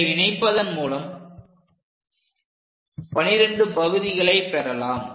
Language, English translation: Tamil, So, we make 12 parts